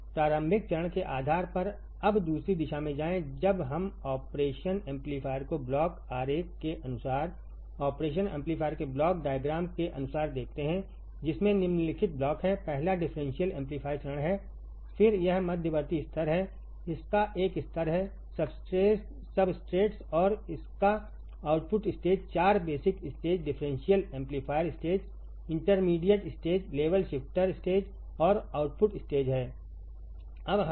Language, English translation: Hindi, Go to the other direction depending on the initial stage now when we see the operation amplifier according the block diagram according to block diagram of the operation amplifier it has following blocks first is the differential amplifier stage, then it has intermediate stage it has a level substrates and it has a output stage 4 basic stages differential amplifier stage intermediate stage level shifter stage and output stage